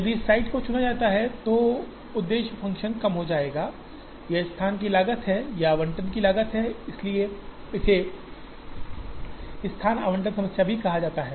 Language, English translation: Hindi, If this site is chosen, so the objective function will minimize, this is the cost of location, this is the cost of allocation, so it is also called location allocation problem